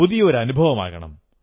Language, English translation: Malayalam, Try a new experiment